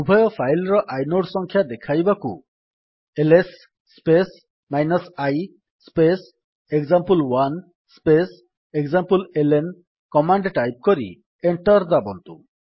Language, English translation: Odia, To display the inode number of both the files, type the command: $ ls space i space example1 space exampleln press Enter